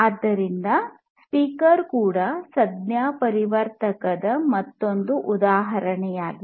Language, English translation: Kannada, So, a speaker is also another example of the transducer